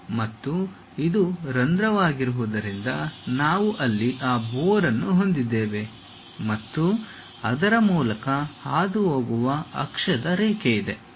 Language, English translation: Kannada, And, because this is the hole, we have that bore there and there is a axis line which pass through that